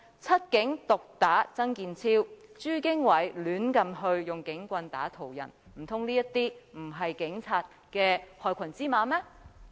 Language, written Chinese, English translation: Cantonese, 七警毒打曾健超，以及朱經緯胡亂毆打途人事件，難道這些不是警察的害群之馬嗎？, With the incidents of seven police officers beating up badly TSANG Kin - chiu and Franklin CHU assaulting the passers - by recklessly are they not the black sheep of the Police?